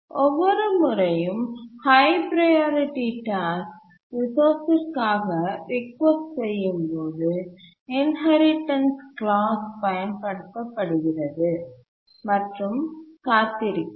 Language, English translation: Tamil, And the inheritance clause is applied each time a high priority task requests a resource and is waiting